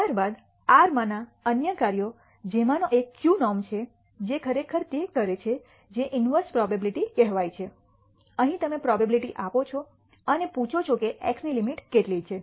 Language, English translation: Gujarati, Then other functions in R one of them is q norm which actually does what is called the inverse probability; here you give the probability and ask what is the limit X